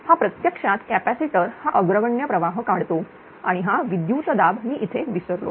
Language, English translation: Marathi, The it is actually capacitor it is leading current and this voltage I have missed it